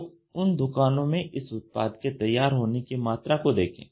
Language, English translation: Hindi, So, look at the amount of readiness which this product has in these stores